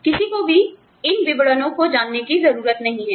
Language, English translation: Hindi, Nobody, needs to know, these details